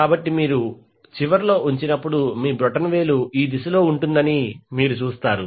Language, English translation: Telugu, So you will see when you place end like this your thumb will be in this direction